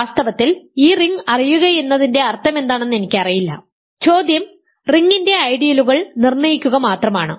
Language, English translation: Malayalam, In fact, I do not even know what it means to know this ring, the question is only to determine the ideals of the ring ok